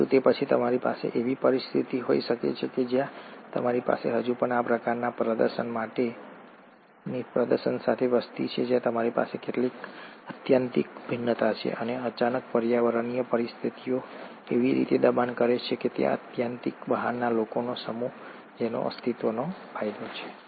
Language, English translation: Gujarati, But then, you can have a situation where you still have a population with these kind of display where you have some extreme variations and suddenly, the environmental conditions force in such a fashion that it is this set of extreme outliers which have a survival advantage